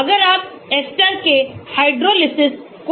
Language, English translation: Hindi, If you look at the hydrolysis of esters